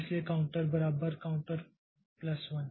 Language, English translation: Hindi, So, register 2 equal to counter